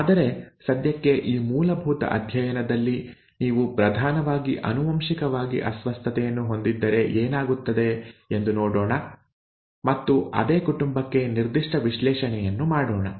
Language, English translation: Kannada, But for now, basic course let us look at what happens if you have a dominantly inherited disorder and let us do a pedigree analysis for the very same family, okay